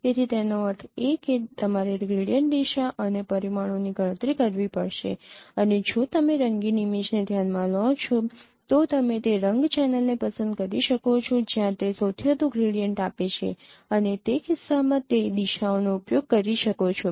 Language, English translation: Gujarati, So, that means you have to compute gradient orientation and magnitudes and if you consider a colored image then you can pick that no color channel where it is giving the maximum gradient, highest gradient and use that directions in that case